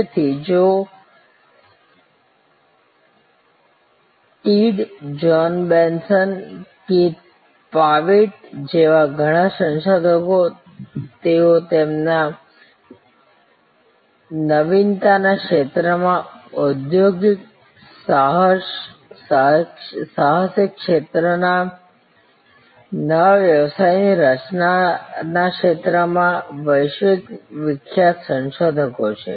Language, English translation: Gujarati, So, many researchers like Joe Tidd, John Bessant, Keith Pavitt, they are all world famous researchers in the field of innovation, in the field of entrepreneurship, in the field of new business creation